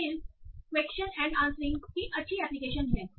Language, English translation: Hindi, Then there is a nice application of question answering